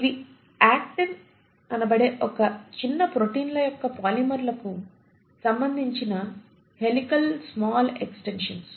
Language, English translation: Telugu, So you will have something called as microfilaments which are helical small extensions of polymers of small proteins called as Actin